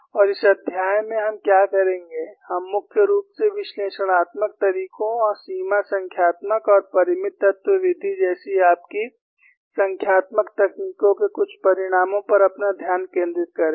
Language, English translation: Hindi, And what we would do in this chapter is, we would primarily confine our attention, to analytical methods and some results from your numerical techniques, like boundary collocation and finite element method